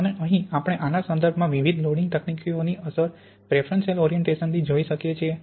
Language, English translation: Gujarati, And here we can see the impact of the different loading techniques in terms of this preferential orientation